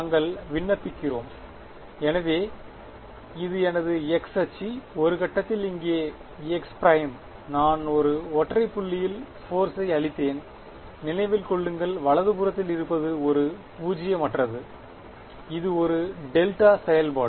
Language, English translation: Tamil, We are applying, so this is my x axis, at some point x prime over here; I have applied a force is at a single point remember the right hand side is non zero at only one point right